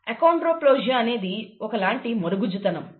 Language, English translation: Telugu, Achondroplasia, which is a kind of dwarfism, okay